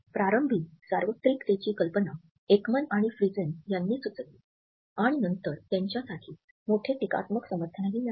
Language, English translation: Marathi, Notions of universality were initially suggested by Ekman and Friesen and later on there had been a large critical support for them